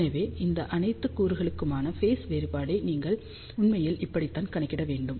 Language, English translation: Tamil, So, this is how you actually have to calculate the phase difference for all these element